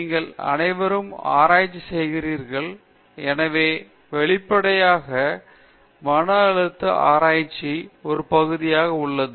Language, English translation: Tamil, All of you are doing research; so, obviously, stress is an integral part of research